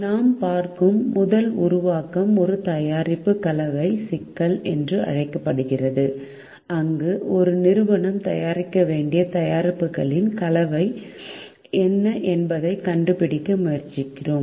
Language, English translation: Tamil, the first formulation that we will be looking at is called a product mix problem, where we try to find out what is the mix of products that an organization should produce